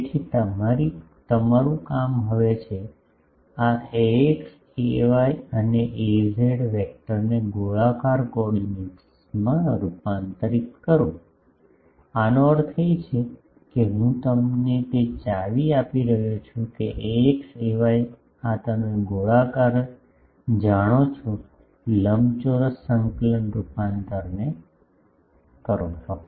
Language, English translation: Gujarati, So, your job is to now, convert this ax ay and az vector to spherical coordinates; that means, I am giving you the clue that ax ay, this you know spherical to rectangular coordinate transformation just